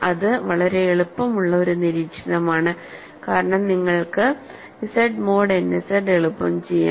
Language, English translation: Malayalam, So, these are easy observations and we can also say characteristic of Z mod n Z is n right